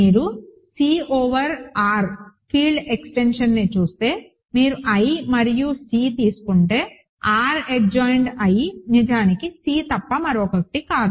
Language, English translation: Telugu, If you look at C over R, the field extension and you take i and C, then R adjoined I is actually nothing but C